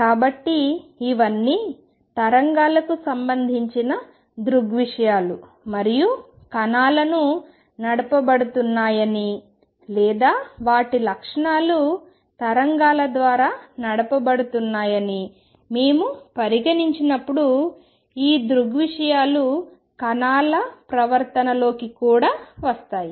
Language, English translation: Telugu, So, these are all phenomena concerned with waves and when we consider particles as being driven by or their properties been driven by waves these phenomena come into particles behavior also